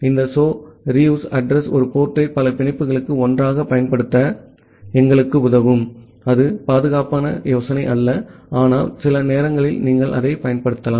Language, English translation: Tamil, This so reuse addr will help us to use the same port for multiple connections together and that is not a safe idea, but sometime you can use that